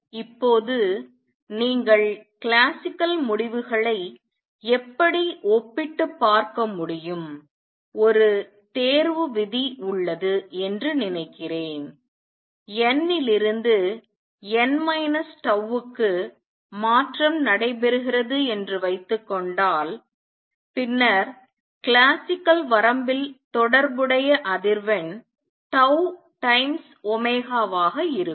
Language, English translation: Tamil, Now you see how we see by comparing with the classical results there is a selection rule suppose n to n minus tau transition takes place, then the corresponding frequency right the corresponding frequency in classical limit will be tau times omega